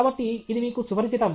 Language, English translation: Telugu, So, this is familiar to you